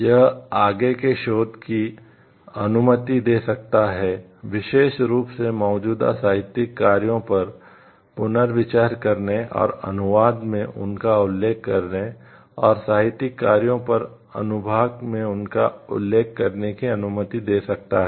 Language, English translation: Hindi, It allows like more research to happen, rethinking to be happen on particularly literary work, which is already there and referring to it them stating it in the translations and mentioning it in part of a literary work